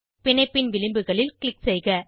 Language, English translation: Tamil, Click on the edges of the bonds